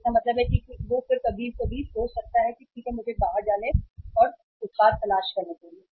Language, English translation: Hindi, So it means he may again think sometimes that okay let let me go out and to look for the product